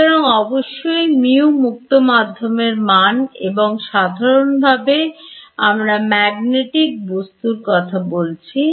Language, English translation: Bengali, So, of course, mu is that of free space and in general we are not talking about magnetic material over here